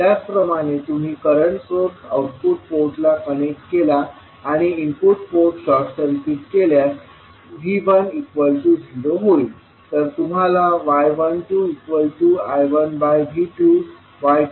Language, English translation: Marathi, Similarly, if you connect current source at the output port and the short circuit the input port so V 1 will become 0 now